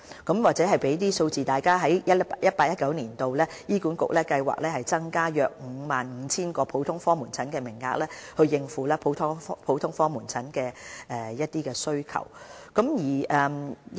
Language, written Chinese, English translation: Cantonese, 我在此提供一些數字供大家參考 ：2018-2019 年度，醫管局計劃增加約 55,000 個普通科門診的名額，以應付普通科門診服務需求。, I hereby provide some attendance figures for Members reference . HA plans to increase the GOPC consultation quotas by about 55 000 attendances in 2018 - 2019 to cater for the demand